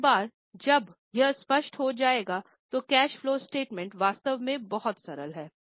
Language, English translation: Hindi, Once this is clear, making of cash flow statement is really very simple